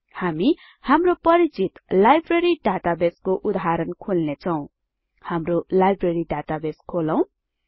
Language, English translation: Nepali, We will open our familiar Library database example